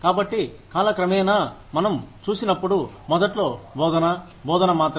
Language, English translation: Telugu, So, over time, when we see that, initially, teaching was only teaching